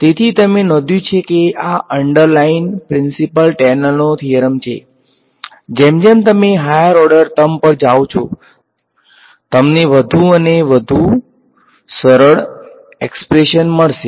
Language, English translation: Gujarati, So, you notice that this is the underlying principle is Taylor’s theorem, you can keep going to higher order term you will get more and more accurate expressions